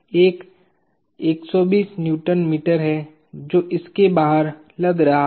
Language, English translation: Hindi, There is a 120 Nm that is acting external to this